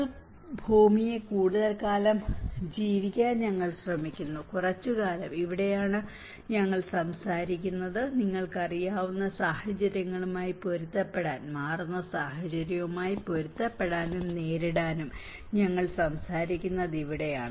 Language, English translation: Malayalam, We are trying to make our earth live longer, little longer so, this is where the abilities you know that is where we are talking, in order to adapt with the situations you know, in order to adapt and cope with the changing situations, we are talking about the climate change adaptation